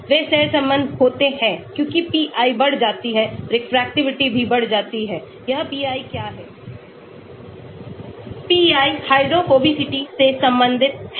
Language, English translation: Hindi, they are correlated as pi increases molar refractivity also increases , what is this pi, pi is related to the hydrophobicity